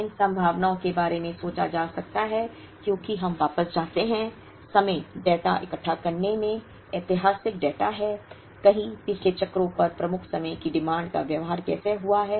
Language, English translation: Hindi, These probabilities can be thought of as we go back in time collect data, historical data has to, how the lead time demand has behaved over several past cycles